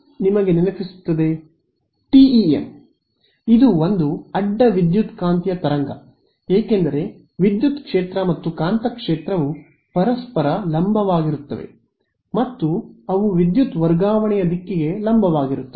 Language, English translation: Kannada, TEM its a Transverse Electromagnetic wave because the electric field and magnetic field are perpendicular to each other and they are perpendicular to the direction of power transfer